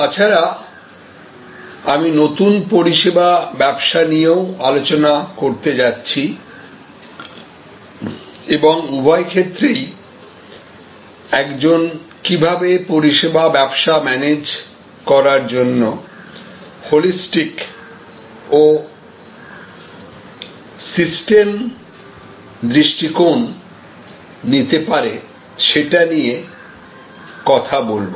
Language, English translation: Bengali, And I am also going to discuss about a new service business and in both cases, I am going to discuss, how one can take a holistic approach, a systems approach to managing the services business